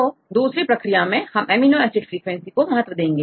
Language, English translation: Hindi, So, the second one this is a weighted amino acid frequencies, here we give weightage